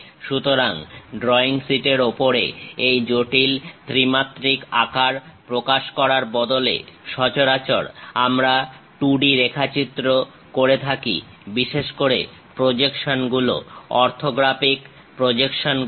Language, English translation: Bengali, So, on drawing sheet, instead of representing these complex three dimensional shapes; usually we go with 2 D sketches, especially the projections, orthographic projections